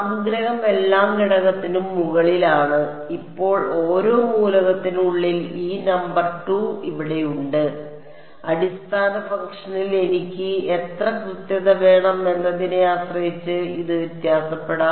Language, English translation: Malayalam, The summation is over every element, now inside each element this number 2 that I have over here this can vary depending on how much accuracy I want in the basis function ok